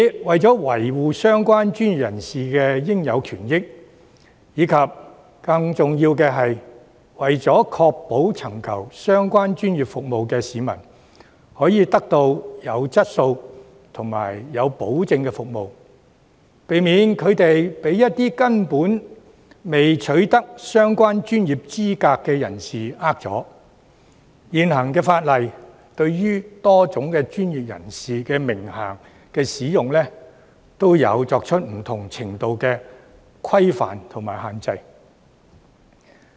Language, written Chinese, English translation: Cantonese, 為了維護相關專業人士的應有權益，以及更重要的是，為了確保尋求相關專業服務的市民可以獲得有質素和有保證的服務，以免被一些根本並未取得相關專業資格的人欺騙，現行法例對於多種專業人士的名銜的使用，有作出不同程度的規範和限制。, In order to safeguard the legitimate rights and interests of the relevant professionals and more importantly to ensure that members of the public seeking the relevant professional services can obtain quality and guaranteed services so as to prevent the latter from being deceived by people who have not obtained the relevant professional qualifications the existing legislation has imposed different degrees of regulation and restriction on the use of the titles of various professionals